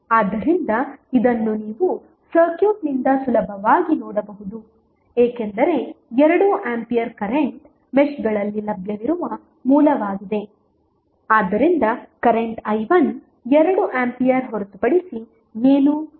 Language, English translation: Kannada, So, this you can easily see from the circuit because 2 ampere is the current source which is available in the mesh so the current i 1 was nothing but 2 ampere